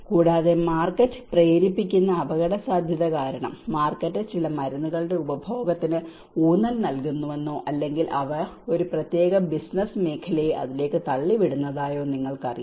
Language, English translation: Malayalam, Also, the market driven risk because you know the market also emphasizes on consumption of certain drugs or they push a certain business sectors into it